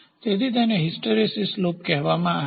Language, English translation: Gujarati, So, this is called as hysteresis loop